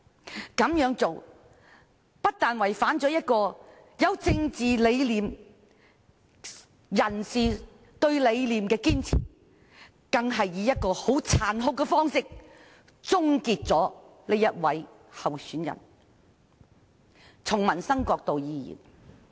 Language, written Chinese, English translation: Cantonese, 這樣做不但有違政界人士對理念的堅持，更以殘酷的方式終結了他們原先支持的候選人。, By doing so they have not only run counter to the insistence of politicians on their ideals but also cruelly aborted the campaign of the candidate they had originally supported